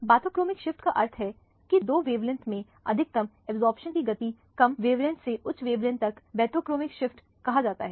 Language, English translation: Hindi, Bathochromic shift means shift of absorption maximum from two longer wavelength, from lower wavelength to higher wavelength is what is known has the bathochromic shift